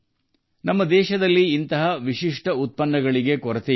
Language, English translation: Kannada, There is no dearth of such unique products in our country